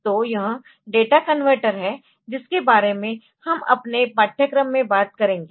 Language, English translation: Hindi, So, this is the data converter that we will be talking about in our course